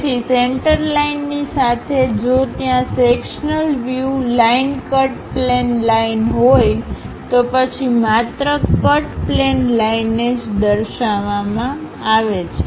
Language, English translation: Gujarati, So, compared to the center line, we if there is a sectional view line is present, cut plane line; then one has to show only that cut plane line